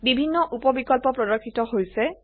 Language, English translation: Assamese, Various sub options are displayed